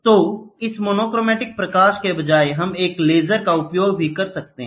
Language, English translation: Hindi, So, instead of this monochromatic light, we can also use laser